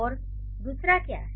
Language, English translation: Hindi, And what is the second one